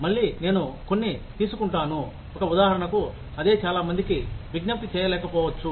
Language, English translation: Telugu, Again, I will take some, an example, that may not appeal, to a lot of people